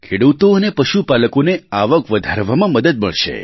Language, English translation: Gujarati, Farmers and cattle herders will be helped in augmenting their income